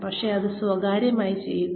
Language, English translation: Malayalam, But, do it in private